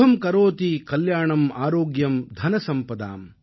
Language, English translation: Tamil, Shubham Karoti Kalyanam, Aarogyam Dhansampadaa